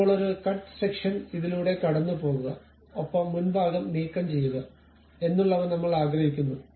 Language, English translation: Malayalam, Now, I would like to have a cut section maybe a cut section passing through this and I would like to remove the frontal portion